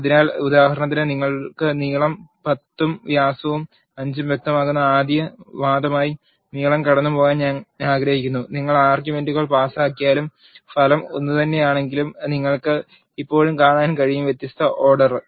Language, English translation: Malayalam, So, for example, I want to pass length as a first argument you can specify length is equal to 10 and diameter is equal to 5 and you can still see the result is same even though you pass the arguments in the different order